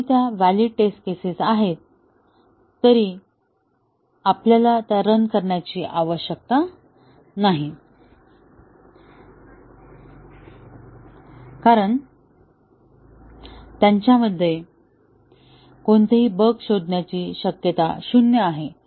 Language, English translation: Marathi, Even though they are valid test cases, we do not need to run them, because they have zero possibility of detecting any bugs